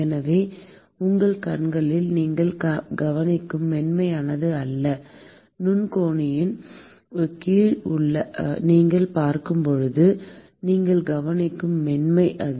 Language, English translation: Tamil, So, it is not the smoothness that you observe in your eyes; it is the smoothness that you would observe when you see under a microscope